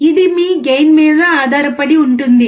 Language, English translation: Telugu, This depends on your gain